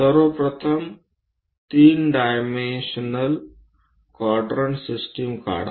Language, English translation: Marathi, first of all draw a 3 dimensional quadrant system